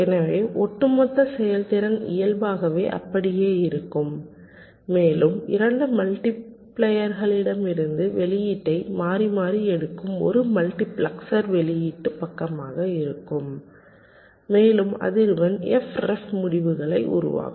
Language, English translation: Tamil, so overall throughput naturally remains the same and there will be a multiplexor, the output side, that will be taking the output alternately from the two multipliers and will be generating the results at frequency f ref